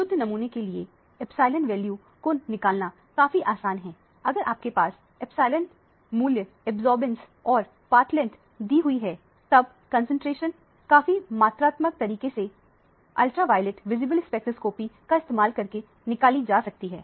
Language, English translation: Hindi, For a pure sample it is fairly easy to determine the epsilon values so if you have a epsilon value and absorbance and the path length, concentration can be determined quite quantitatively using the ultraviolet visible spectroscopy